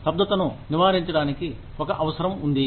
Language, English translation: Telugu, To prevent the stagnancy, there is a requirement